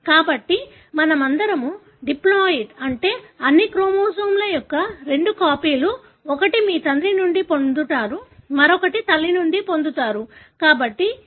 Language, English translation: Telugu, So all of us are diploid, meaning two copies of all the chromosomes one that you derived from father, the other one that you derived from mother